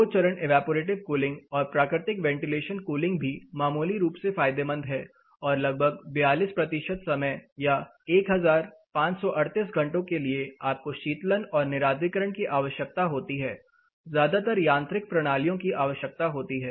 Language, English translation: Hindi, Two stage evaporative cooling and natural ventilation cooling is also beneficial marginally and about 42 percentages of the time or 1538 hours you need cooling and dehumidification, mostly mechanical systems are required